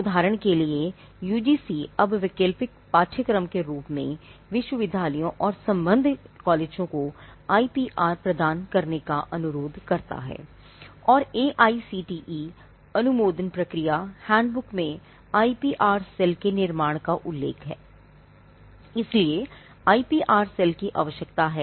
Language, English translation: Hindi, UGC now requests universities and affiliated colleges to provide IPR as elective course